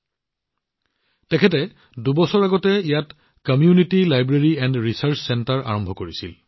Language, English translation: Assamese, Jatin ji had started a 'Community Library and Resource Centre' here two years ago